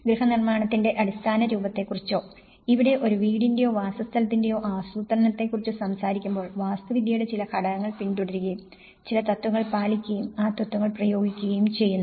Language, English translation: Malayalam, When we talk about very basic form of house compositions, planning of a house or a dwelling here, we follow certain elements of architecture and we follow certain principle; we apply the principles of okay